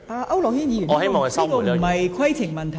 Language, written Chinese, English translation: Cantonese, 區諾軒議員，這不是規程問題。, Mr AU Nok - hin this is not a point of order